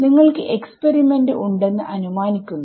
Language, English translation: Malayalam, Supposing you have experiment